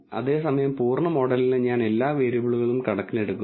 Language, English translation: Malayalam, Whereas, for the full model I take all the variables into account